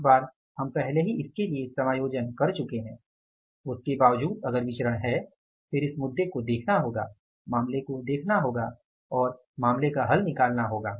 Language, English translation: Hindi, Once we have already adjusted for it then despite that if there is a variance then it is a issue to be looked into the matter to be looked into and the matter to be resolved right